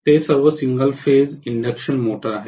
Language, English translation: Marathi, They are all single phase induction motor